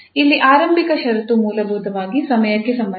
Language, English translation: Kannada, Here the initial condition means with respect to basically time